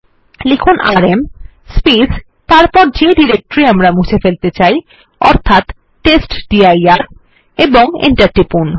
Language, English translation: Bengali, Let us type rm and the directory that we want to delete which is testdir and press enter